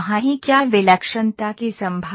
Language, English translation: Hindi, Is there a possibility of singularity